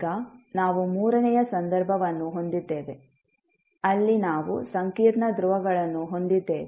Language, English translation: Kannada, Now, we have a third case, where we have complex poles